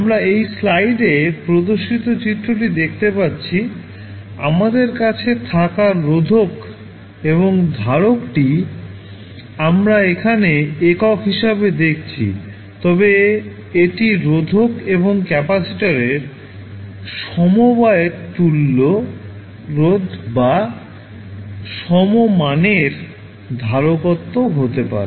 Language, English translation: Bengali, So now, we will see that the figure which is shown in this slide the resistor and capacitor we have, we are seeing here as a single one, but it can be equivalent resistance or equivalent capacitance of the combination of resistors and capacitor